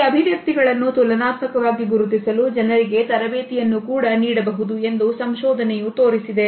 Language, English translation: Kannada, Research has also shown that people can be trained to identify these expressions relatively